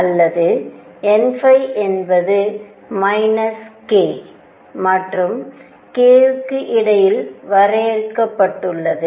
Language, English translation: Tamil, Or n phi is confined between minus k and k